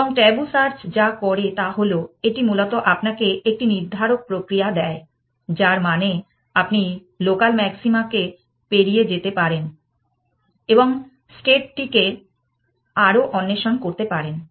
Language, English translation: Bengali, And what tabu search does is that, it basically gives you a deterministic mechanism to say that you can go past, local maxima and explore the state further essentially